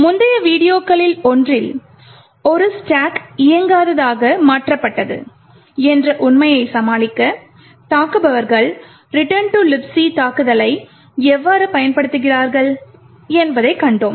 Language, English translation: Tamil, In one of the previous videos we see how attackers use the return to libc attack to overcome the fact that this stack was made non executable